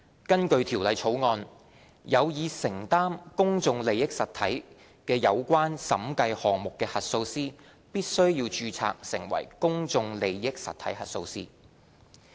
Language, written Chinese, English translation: Cantonese, 根據《條例草案》，有意承擔公眾利益實體的有關審計項目的核數師必須註冊成為公眾利益實體核數師。, Under the Bill an auditor which wishes to undertake specified PIE audit engagements must be registered as a PIE auditor